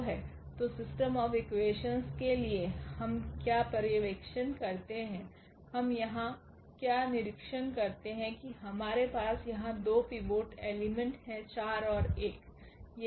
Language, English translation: Hindi, So, for this system of equation what do observer what do we observe here that we have the 2 pivots element here 4 and also this 1